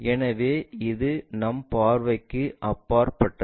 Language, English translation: Tamil, So, it is beyond our visibility